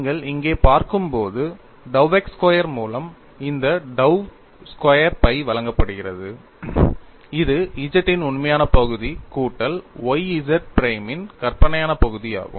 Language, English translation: Tamil, And when you look at here, this dou squared phi by dou x squared is given as real part of Z plus y imaginary part of Z prime